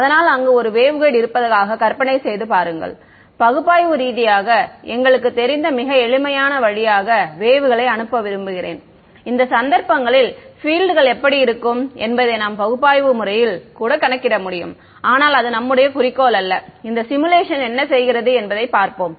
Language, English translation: Tamil, So, imagine there is waveguide I want to send wave through very simple we know analytically in these cases we can even analytically calculate what the fields look like, but that is not our objective let us see what this simulation does